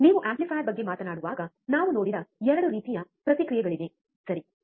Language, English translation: Kannada, That when you talk about amplifier there are 2 types of feedback we have seen, right